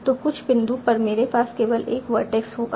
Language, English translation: Hindi, So at some point I will have only one vertex